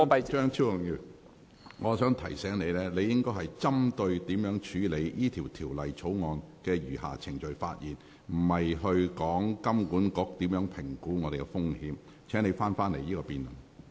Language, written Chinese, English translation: Cantonese, 張超雄議員，我想提醒你，你應該針對如何處理《條例草案》的餘下程序發言，而不是談論金管局如何評估本港的風險。, Dr Fernando CHEUNG I wish to remind you that you should focus your speech on how to deal with the remaining proceedings of the Bill not on the risk assessment of Hong Kong by HKMA